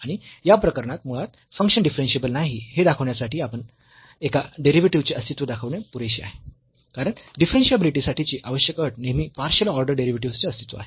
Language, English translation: Marathi, And, in this case since in fact, showing the existence of one of the derivatives is enough to tell that the function is not differentiable because the necessary condition for differentiability is the existence of both the partial order derivatives